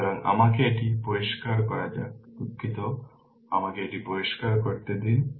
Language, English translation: Bengali, So, let me clear it sorry let me clear it